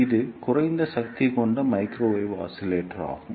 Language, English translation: Tamil, It is a low power microwave oscillator